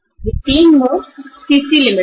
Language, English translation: Hindi, These 3 modes are CC limit